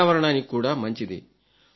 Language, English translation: Telugu, It is good for the environment